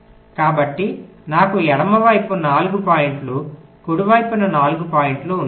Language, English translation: Telugu, so i have four points on the left, four points on the right